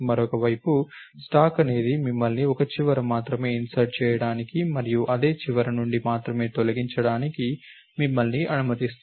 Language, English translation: Telugu, A stack on the other hand allows you to insert at only one end and delete only from the same end